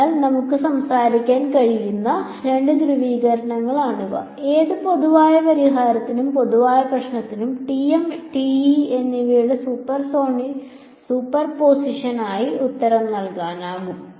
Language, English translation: Malayalam, So, those are two polarizations that we can we can talk about and any general solution or any general problem can be answered as a superposition of TM and TE